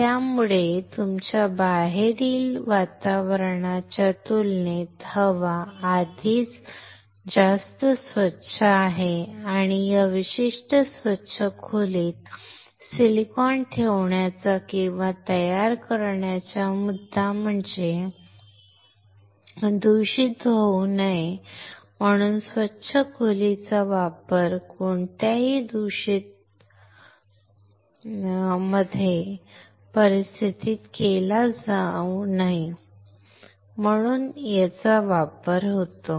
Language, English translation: Marathi, So, already the air is much more cleaner compared to your outside environment and the point of keeping or manufacturing the silicon in this particular clean room is to avoid contamination right that is how the clean room is used to avoid any contamination